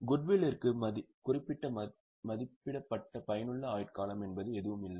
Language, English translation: Tamil, For Goodwill, there is no particular estimated useful life, it can remain perpetually